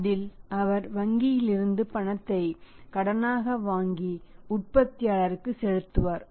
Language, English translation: Tamil, In that would he do borrow the money from the bank and pay to the manufacturer